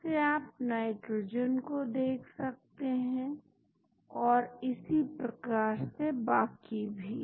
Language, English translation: Hindi, Again you can see nitrogen and so on